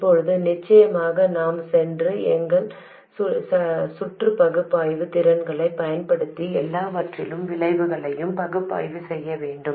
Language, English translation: Tamil, Now we have to of course go and analyze this, use our circuit analysis skills and analyze the effect of everything